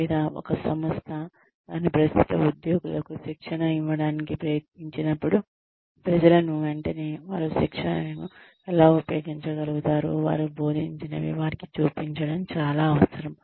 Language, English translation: Telugu, Or, when an organization, tries to train its current employees, it is very essential to show people, immediately show them, how they will be able to use, what they have been taught